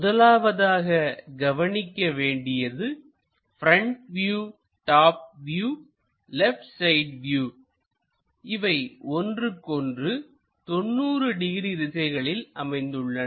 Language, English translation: Tamil, The first thing what you have to observe front view, top view and left side view, they make 90 degrees thing